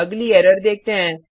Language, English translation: Hindi, Let us look at the next error